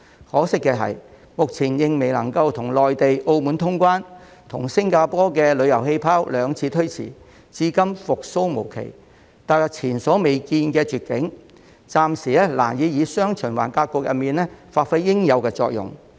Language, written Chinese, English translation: Cantonese, 可惜的是，香港目前仍然未能與內地及澳門通關，與新加坡的"旅遊氣泡"兩次推遲，至今復蘇無期，踏入前所未見的絕境，暫時難以在"雙循環"格局中發揮應有的作用。, Unfortunately Hong Kong is still unable to resume cross - boundary travel with the Mainland and Macao . The Hong Kong - Singapore Air Travel Bubble has been postponed twice with no date set for resumption . In view of the unprecedented plight it is difficult for Hong Kong to play the intended role in the dual circulation pattern for the time being